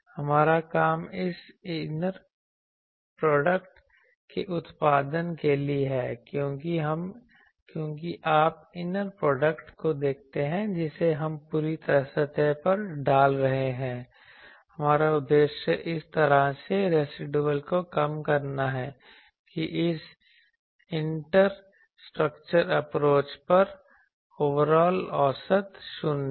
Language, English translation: Hindi, Our job is for this producing this inner product because you see inner product we are putting over the whole surface our objective is to minimize the residual in such a way that is overall average over the inters structure approach is 0